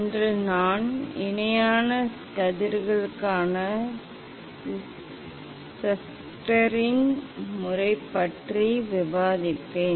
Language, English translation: Tamil, today I will discuss Schuster s Method for Parallel Rays